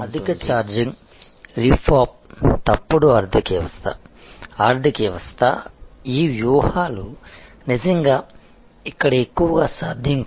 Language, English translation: Telugu, Over charging, rip off, false economy, economy; these strategies are really gone not very possible here